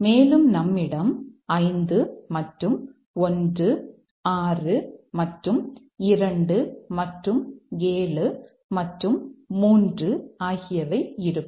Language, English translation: Tamil, And naturally we'll have 5 and 1, 6 and 2 and 7 and 3